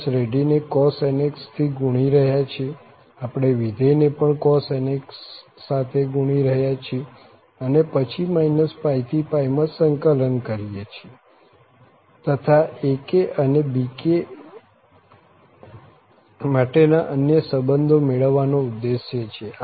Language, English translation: Gujarati, We are multiplying the series by cos nx, also we are multiplying the function by cos nx and then integrating from minus pi to pi and to have this aim to get other relations for other aks and bks